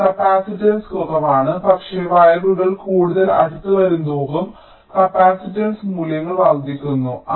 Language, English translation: Malayalam, but as the wires are becoming closer and closer the capacitance values are increasing